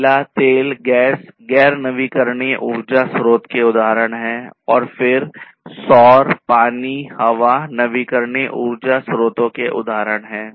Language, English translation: Hindi, Coal, oil, gas etc are the non renewable examples of non renewable sources of natural in energy and then solar, water, wind etc are the examples of renewable sources of energy